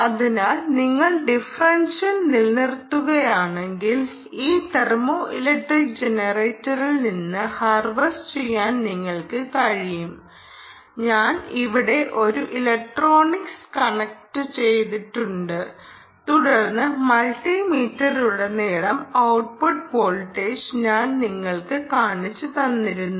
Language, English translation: Malayalam, so if you maintain the differential delta t, you should be able to harvest from this thermoelectric generator, to which i have connected a piece of electronics here, and then i have shown you the output voltage across the multi meter